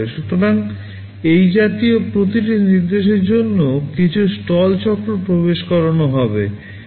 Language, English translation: Bengali, So, for every such instruction there will be some stall cycle inserted